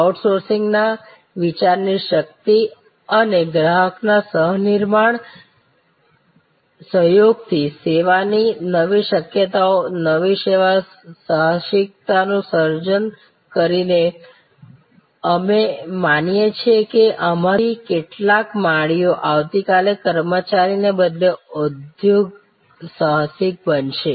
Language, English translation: Gujarati, Power of crowd sourcing of ideas and co creation by involving customer and they are associates in the process and creating new service possibilities, new service entrepreneursm, we believe that some of these gardeners will become tomorrow entrepreneur rather than an employee